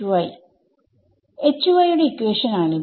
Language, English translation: Malayalam, This is the equation